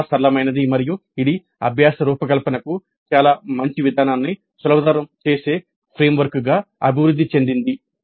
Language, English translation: Telugu, It's quite flexible and it has evolved into a framework that facilitates a very good approach to designing the learning